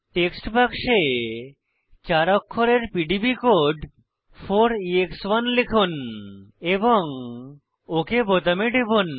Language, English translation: Bengali, Type the 4 letter PDB code 4EX1 in the text box and click on OK button